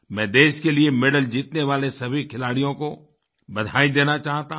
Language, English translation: Hindi, I wish to congratulate all players who have won medals for the country